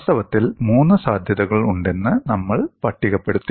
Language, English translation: Malayalam, In fact, we listed there could be three possibilities